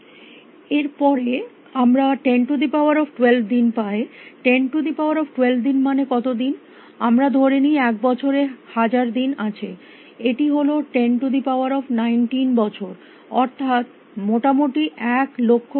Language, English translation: Bengali, Then we have 10 is to 12 days how many days is 10 is to 12 days let us assume that there are 1000 days in a year is 10 is to 9 years it is about billion years